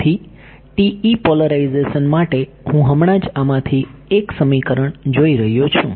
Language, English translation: Gujarati, So, the TE polarization I am just looking at one of these equations ok